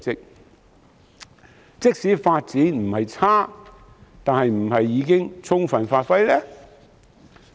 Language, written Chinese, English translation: Cantonese, 然而，即使發展不差，是否已充分發揮呢？, However although our development in this area is not bad have we given full play to our strengths?